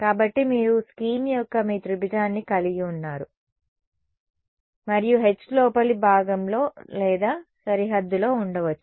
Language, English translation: Telugu, So, you have your triangulation of the scheme and the h could either be in the interior or on the boundary